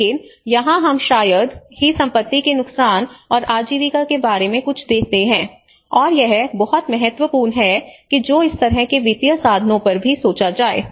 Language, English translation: Hindi, But here we hardly give anything much about the property losses and livelihoods, and this is very important that one who can even think on these kinds of instruments, financial instruments